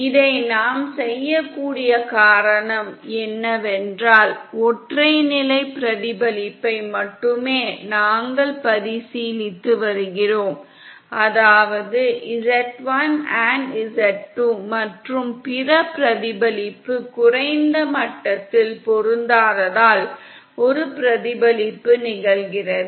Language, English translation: Tamil, The reason we can do this is because we are only considering a single level reflection which means that one reflection is happening due to the mismatch between z1& z2 & the other reflection at the low level